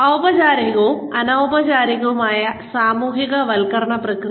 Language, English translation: Malayalam, Formal versus informal socialization process